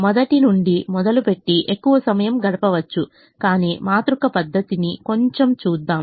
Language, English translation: Telugu, one can spend a lot more time starting from the beginning, but let's just see a little bit of the matrix method now